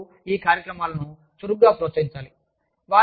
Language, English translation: Telugu, The management should actively promote, these programs